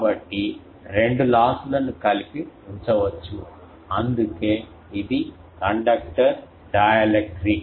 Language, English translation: Telugu, So, the two losses can be put together that is why it is conductor dielectric together